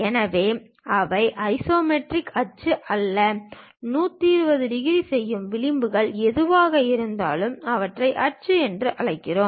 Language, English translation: Tamil, So, they are not isometric axis; whatever the edges that make 120 degrees, we call them as axis